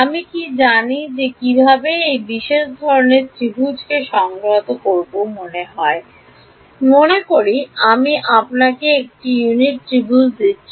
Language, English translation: Bengali, Do we know how to integrate over a special kind of triangle, supposing I give you a unit triangle ok